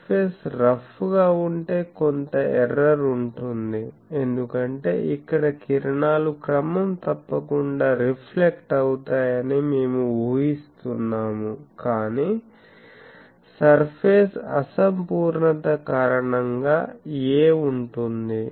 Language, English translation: Telugu, So, if the surface is having a rough surface then there will be some error because here we are assuming that the rays are regularly reflected but due to the surface imperfection there will be a